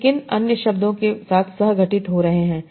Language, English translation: Hindi, What are the other words they are co occurring with